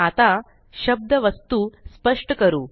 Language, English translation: Marathi, Let us define the word Object